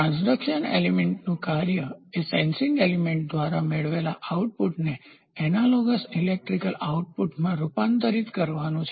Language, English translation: Gujarati, The transduction element the function of a transduction element is to transform the output obtained by the sensing element to an analogous electrical output